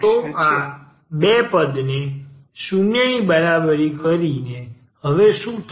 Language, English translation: Gujarati, So, by setting these two terms equal to 0 what will happen now